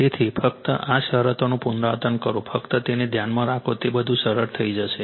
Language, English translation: Gujarati, So, only these condition repeat just keep it in mind then everything will find simple right